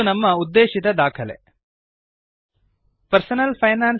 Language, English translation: Kannada, This is our target document